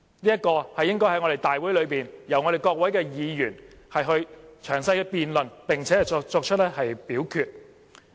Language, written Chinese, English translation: Cantonese, 這應在我們的大會上，由我們各位議員作詳細辯論，並作表決。, Instead Members should thoroughly debate and vote on the issue at a Council meeting